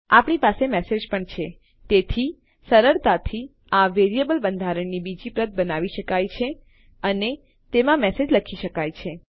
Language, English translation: Gujarati, Also we have the message so we can easily duplicate this variable structure and say message in there